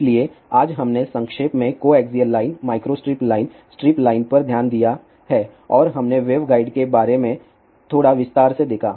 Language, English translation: Hindi, So, today we have looked into coaxial line, micro strip line, strip line in brief and we saw little bit in detail about the waveguide